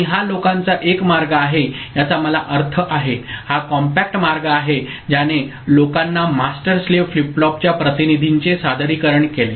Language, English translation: Marathi, And this is one way people have I mean, this is the compact way people have made a presentation of representation of master slave flip flop